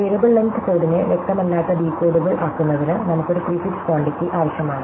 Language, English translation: Malayalam, So, in order to make a variable length code an unambiguous decodable, we need what is called a prefix quantity